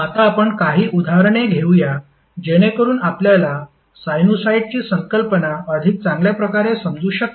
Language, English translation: Marathi, Now let's take a few examples so that you can better understand the concept of sinusoid